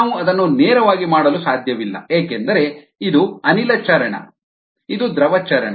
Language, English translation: Kannada, we cannot do that directly because this is gas phase, this is liquid phase